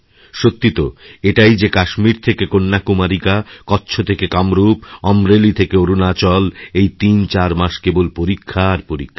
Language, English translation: Bengali, Actually from Kashmir to Kanyakumari and from Kutch to Kamrup and from Amreli to Arunachal Pradesh, these 34 months have examinations galore